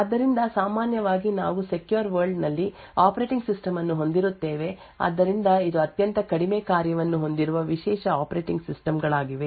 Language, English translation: Kannada, So, typically we would have operating system present in the secure world so this are specialized operating systems which have very minimal functionality